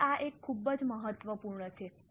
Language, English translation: Gujarati, Now this is a very important note